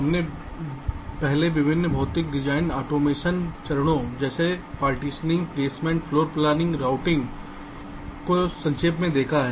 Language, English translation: Hindi, we have earlier looked at the various physical design automations steps like partitioning, placement, floorplanning, routing and so on